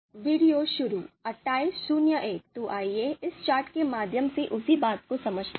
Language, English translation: Hindi, (Video Starts: 28:01) So let us understand the same thing through this chart